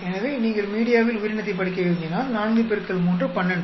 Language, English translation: Tamil, So, if you want to study organism into media 4 into 3, 12